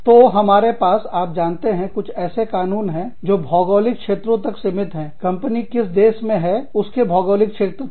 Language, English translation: Hindi, So, we have, you know, some laws are restricted, to the geographical region, that the country geographical region, that the company is in